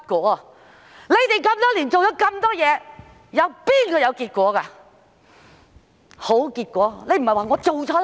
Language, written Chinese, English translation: Cantonese, 多年來，當局做了那麼多事，有哪件事是有結果、有好結果的呢？, Over the years the authorities have taken a lot of actions . Nevertheless have any of them yielded results or good results?